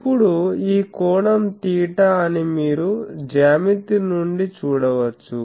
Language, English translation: Telugu, Now, you can see from the geometry that this angle is theta